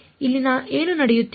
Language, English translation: Kannada, What is happening over here